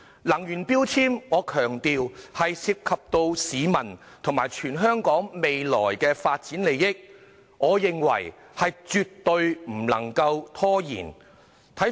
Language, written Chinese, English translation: Cantonese, 能源標籤涉及市民和全港未來的發展利益，我認為絕對不能拖延。, Energy efficiency labelling involves the interests of the people and the future development of Hong Kong . I hold that it must absolutely not be delayed any further